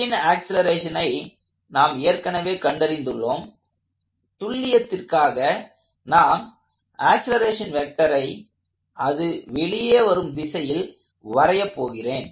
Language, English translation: Tamil, We already found the acceleration of B and just for the sake of exactness I am going to draw the acceleration vector exactly the way it came out